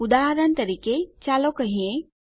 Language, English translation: Gujarati, For example, lets say....